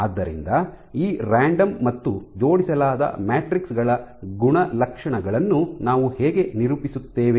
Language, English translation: Kannada, So, how do we characterize the properties of these random versus align matrices